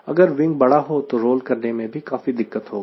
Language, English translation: Hindi, if the wing is very large, rolling will become difficult, ok